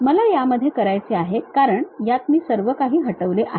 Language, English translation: Marathi, In this if I would like to because I have deleted everything